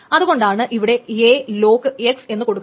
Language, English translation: Malayalam, So that is why it is called a lock X